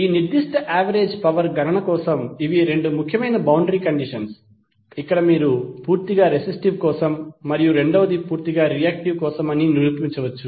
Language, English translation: Telugu, So these are the two important boundary conditions for this particular average power calculation, where you can demonstrate that one is for purely resistive and second is for purely reactive